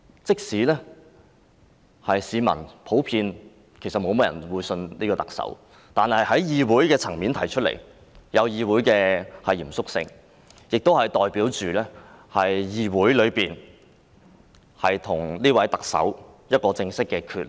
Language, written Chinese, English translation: Cantonese, 即使市民普遍不信任特首，但在議會層面提出這項議案，帶有議會的嚴肅性，亦代表議會與這位特首正式決裂。, The general lack of public confidence in the Chief Executive aside the moving of this motion at the level of the legislature carries the solemnity of the Legislative Council . It also represents a formal break - up between the Council and the Chief Executive